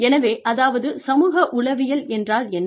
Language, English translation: Tamil, So, that is, what is meant by, psychosocial